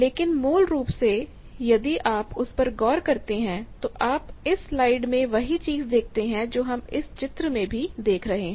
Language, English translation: Hindi, But basically if you look at that you can see these slide that same thing what we have pictorially shown